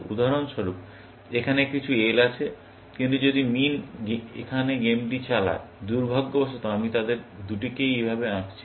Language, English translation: Bengali, For example, there are some Ls here, but if min drives the game here, unfortunately, I have drawn both of them like this